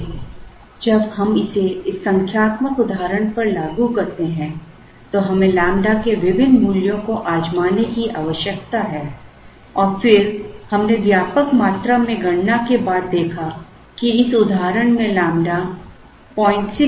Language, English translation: Hindi, So, when we apply this to this numerical example we need to try out different values of lambda and then we observed after an extensive amount of computation, that lambda is 0